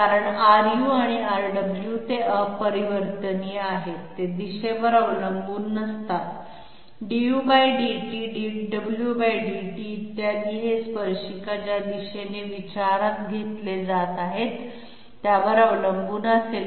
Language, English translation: Marathi, Because R u and R w they are invariant, they do not depend upon the direction, du/ dt dw/dt, et cetera these will be dependent upon the direction in which the tangent is being considered